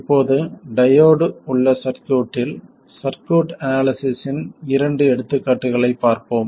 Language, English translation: Tamil, Now, I will look at a couple of examples of circuit analysis when the circuit has diodes